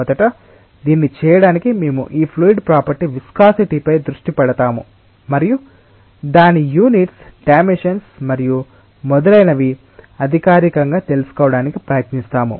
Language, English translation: Telugu, to do that first we will concentrate on this fluid property, viscosity, and we will try to formally find out its unit dimensions and so on